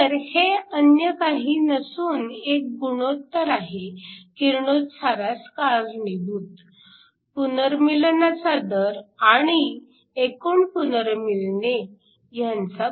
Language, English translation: Marathi, So, this is nothing, but the ratio of the recombination rate which is radiative to the total recombination